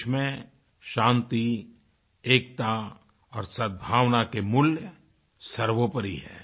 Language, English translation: Hindi, The values of peace, unity and goodwill are paramount in our country